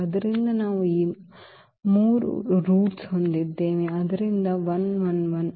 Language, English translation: Kannada, So, we have these 3 roots; so, 1 1 1